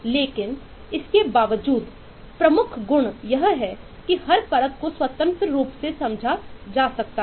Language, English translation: Hindi, but in spite of all of that, the major property is that eh, every layer can be independently understood